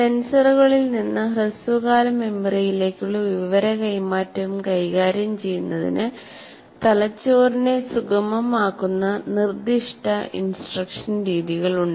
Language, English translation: Malayalam, There are certain instructional methods can facilitate the brain in dealing with information transfer from senses to short term memory